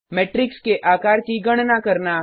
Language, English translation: Hindi, Calculate size of a matrix